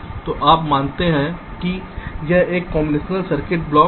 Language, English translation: Hindi, so you assume that this is a combinational circuit block